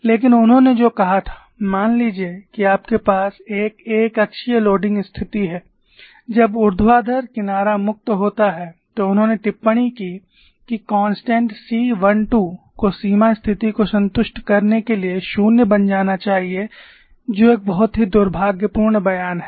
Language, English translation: Hindi, But what he said was, suppose you have a uniaxial loading situation when the vertical edge is free, he made a comment that the constant C 1 2 should become 0 to satisfy the boundary condition, this is the very unfortunate statement